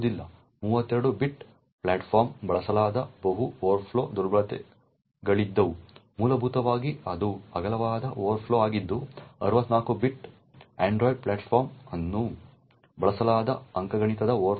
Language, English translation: Kannada, There were multiple overflow vulnerabilities that were exploited on 32 bit platforms essentially it was a widthness overflow that was exploited while on 64 bit android platforms it was an arithmetic overflow that was exploited